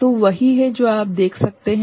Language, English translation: Hindi, So, that is what you can see